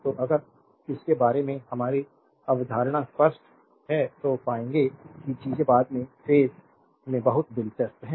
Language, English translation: Hindi, So, if you clear our concept about this you will find things are very interesting in the later stage right